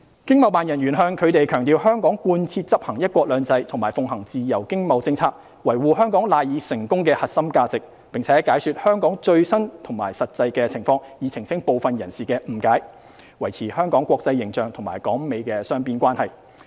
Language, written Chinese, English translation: Cantonese, 經貿辦人員向他們強調香港貫徹執行"一國兩制"和奉行自由經貿政策，維護香港賴以成功的核心價值，並解說香港最新及實際情況，以澄清部分人士的誤解，維持香港國際形象及港美雙邊關係。, ETO officers stressed to them that Hong Kong had spared no effort in implementing one country two systems following free trade and economic policy and safeguarding the core values underpinning the success of Hong Kong . They also explained the latest and actual situation in Hong Kong in order to clarify the misunderstandings that some of them had and maintain Hong Kongs international image and the United States - Hong Kong bilateral relations